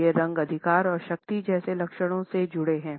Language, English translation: Hindi, These colors are associated with traits like authority and power